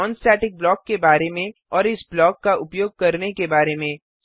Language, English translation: Hindi, Simple example of non static block And Why we need constructors